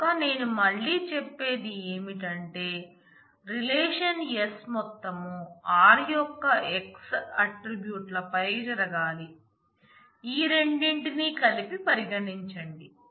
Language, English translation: Telugu, So, if I can say it again the whole of the relation s must happen over the x attributes of r, consider these two together